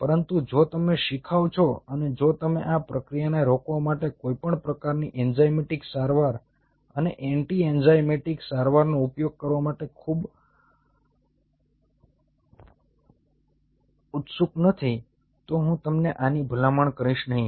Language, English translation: Gujarati, but if you are a novice and if you are not very keen to use a, any kind of enzymatic treatment and anti enzymatic treatment to stop that reaction, i will not recommend you this